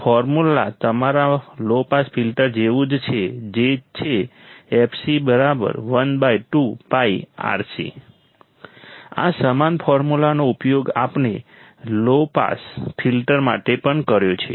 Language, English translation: Gujarati, Formula is similar to your low pass filter that is fc equals to one upon 2 pi Rc ,same formula, we have used for the low pass filter as well